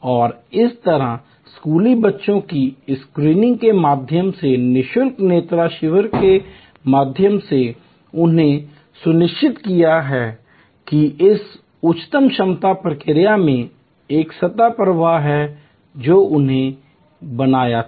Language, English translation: Hindi, And thereby through this eye screening of school children, free eye camps they have ensured that there is a continuous flow into this high capacity process which they had created